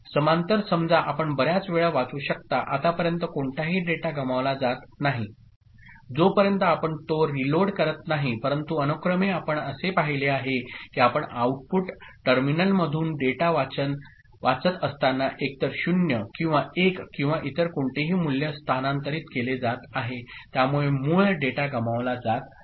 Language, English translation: Marathi, So, parallel out you can read it has many times so now, no data data is getting lost, unless you are reloading it ok, but in serial out we have seen that while you are reading the data from the output terminal what is being shifted either 0 or 1 or any other value, so original data is getting lost ok